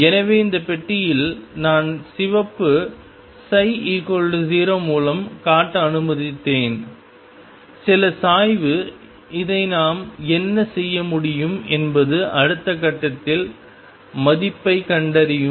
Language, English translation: Tamil, So, in this box, I have let me show psi by red psi equals 0 and some slope what we can do with this is find the value at the next point